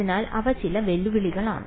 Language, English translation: Malayalam, So, those are some of the challenges right